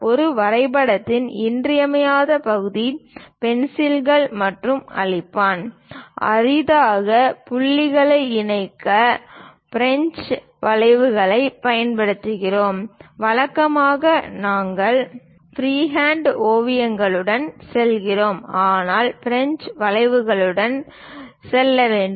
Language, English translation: Tamil, The essential part of drawing is pencils and eraser; rarely, we use French curves to connect points; usually, we go with freehand sketches, but required we go with French curves as well